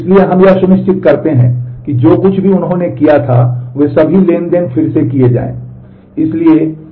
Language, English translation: Hindi, So, we make sure that all transactions whatever they did they those are done again